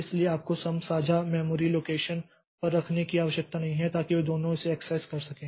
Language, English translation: Hindi, So, you don't have to put some on a shared memory location so that both of them can access it